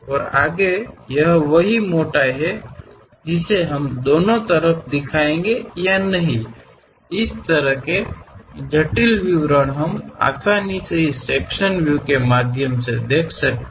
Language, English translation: Hindi, And further, whether this same thickness we will see it on both sides or not; this kind of intricate details we can easily observe through this sectional views